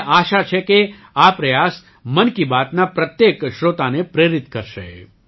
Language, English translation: Gujarati, I hope this effort inspires every listener of 'Mann Ki Baat'